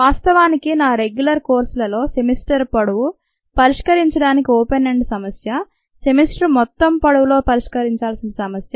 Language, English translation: Telugu, infact, in my regular courses i do assign as long open ended problem solve a problem to be solved over the entire length of the semester